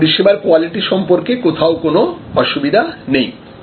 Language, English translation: Bengali, So, there is no problem with respect to the quality of service